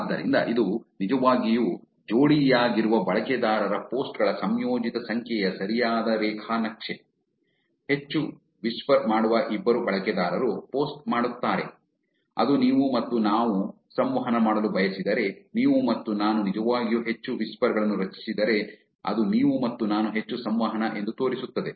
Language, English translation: Kannada, So, that's actually looking at a the right graph which is combined number of posts of paired users, more whispers two users post which says if you and I want to interact, if you and I actually generating more whispers that's more likely that you and I interact, that is the inference that you can draw